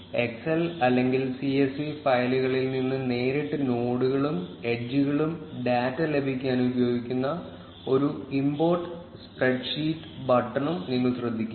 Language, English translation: Malayalam, You will also notice an import spreadsheet button which is used to get nodes and edges data directly from excel or csv files